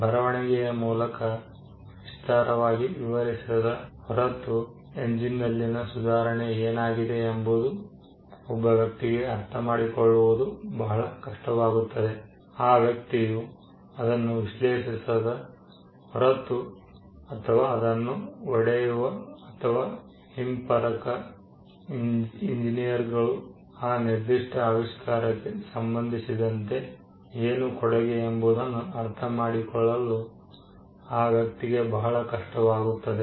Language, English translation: Kannada, Unless it is described in detail, in writing it will be very hard for a person to understand the improvement in the engine, unless he analyzes it, or he breaks it down, or a reverse engineers, it will be very hard for that person to understand where the contribution is with regard to that particular invention